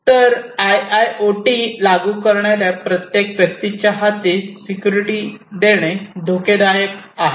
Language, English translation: Marathi, So, living security at the hands of the individual IIoT implementers is consequently dangerous